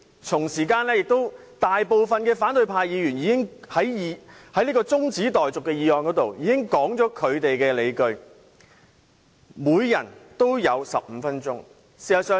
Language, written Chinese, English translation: Cantonese, 同時間，大部分反對派議員已在中止待續議案辯論時道出他們的理據，各人也有15分鐘發言。, At the same time most opposition Members already stated their grounds during the adjournment motion debate and each Member was given 15 minutes to speak